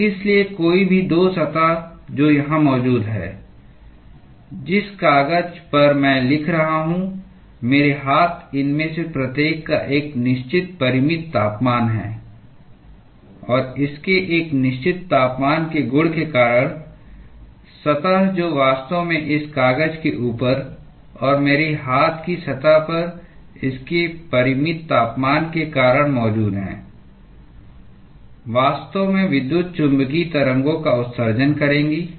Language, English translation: Hindi, So, therefore, any 2 surface which is present here, the paper on which I am writing, my hands, each of these have a certain finite temperature; and due to the virtue of it having a certain temperature, the surface which is actually present on top of this paper and on the surface of my hand due to its finite temperature would actually emit electromagnetic waves